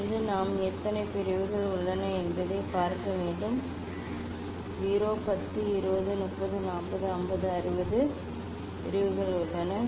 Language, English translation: Tamil, from here I have to see how many divisions there are I can see 0 10 20 30 40 50 60, 60 divisions are there